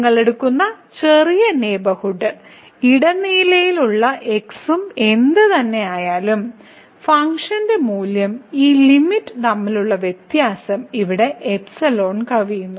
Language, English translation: Malayalam, Whatever small neighborhood you take and any between this, the difference between the function value and this limit will exceed than this epsilon here